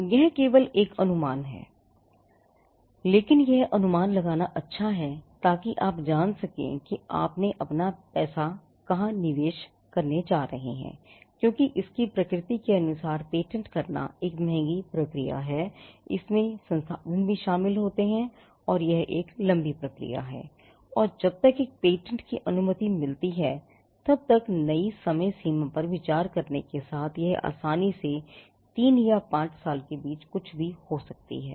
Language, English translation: Hindi, Again, it is only an estimation, but it is good to do the estimation, so that you know where you are going to invest your money in because patenting by its nature is an expensive process, it involves a resources and it is also a time consuming process and by the time a patent gets granted, it could easily be anything between with considering the new timelines it could be anything between 3 or 5 years